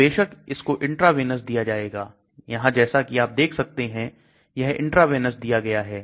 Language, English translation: Hindi, So obviously it is given intravenous here as you can see it is given intravenous